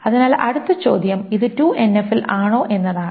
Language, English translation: Malayalam, So this is not in 2NF